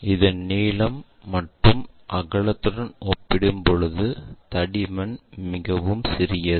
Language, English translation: Tamil, The thickness is much smaller compared to the either the length or breadth of that